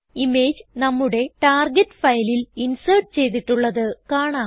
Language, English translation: Malayalam, We see that the image is inserted into our target file